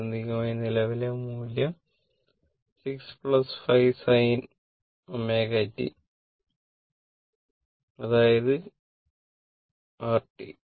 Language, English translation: Malayalam, Ultimately, the current value was 6 plus 5 sin omega t right